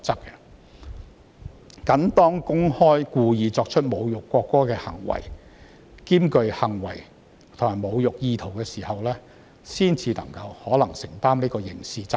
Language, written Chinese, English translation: Cantonese, 只是當公開故意作出侮辱國歌的行為，且行為具侮辱意圖時，才可能需要承擔刑事責任。, Only a person performing the act of publicly and intentionally insulting the national anthem with intent to insult the national anthem may have criminal liability